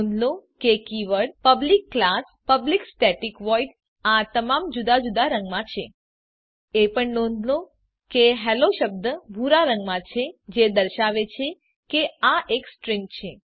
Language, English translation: Gujarati, Note that the keyword public class, public static void are all in different color Also note that the word Hello is in blue color indicating that this is the string